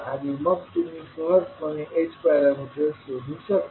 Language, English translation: Marathi, And then you can easily find out the h parameters